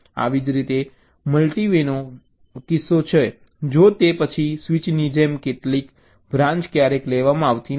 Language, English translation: Gujarati, similar is a case of a multi y if then else, like a switch construct, some branch is never taken